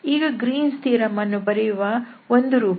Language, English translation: Kannada, So, we have this again I have written this Greens theorem once again